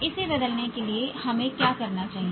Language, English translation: Hindi, To change it, what should we do